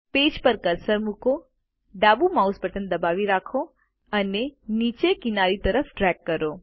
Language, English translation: Gujarati, Place the cursor on the page, hold the left mouse button and drag downwards and sideways